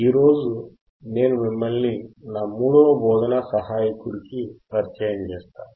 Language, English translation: Telugu, And today I will introduce you to my third teaching assistant